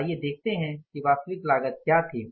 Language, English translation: Hindi, Let's see what was the actual cost